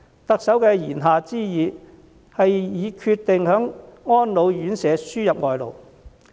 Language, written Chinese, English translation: Cantonese, 特首的言下之意，是已經決定為安老院舍輸入外勞。, What the Chief Executive implies is that she has already decided to import labour for RCHEs